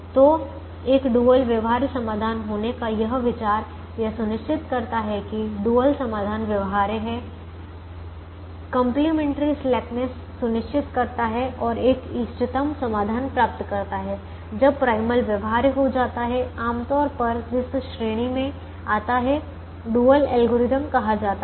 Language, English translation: Hindi, so this idea of having a dual feasible solution, ensuring that the dual solution is feasible, ensuring complimentary slackness and getting an optimum solution when the primal becomes feasible, generally comes in category of what are called dual algorithms